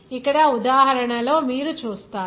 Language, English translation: Telugu, Here in this example, you see